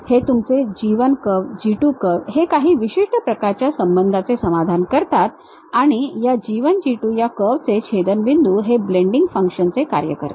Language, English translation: Marathi, It satisfies certain kind of relations like your G 1 curve, G 2 curves and the intersection of these G 1, G 2 curves supposed to satisfy a certain blending functions